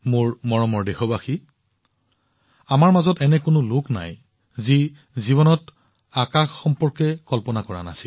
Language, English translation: Assamese, My dear countrymen, there is hardly any of us who, in one's life, has not had fantasies pertaining to the sky